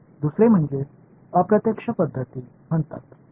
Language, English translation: Marathi, The second is what are called indirect methods right